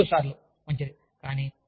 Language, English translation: Telugu, Or, maybe thrice, is fine